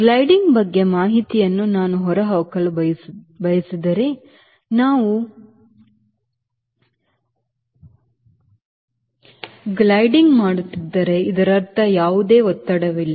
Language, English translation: Kannada, ok, if i want to extrapolate the information about gliding once, we are gliding means there is no thrust